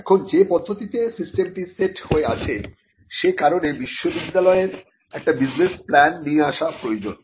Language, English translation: Bengali, Now, because of the way in which the system is set it is necessary that the university comes up with a business plan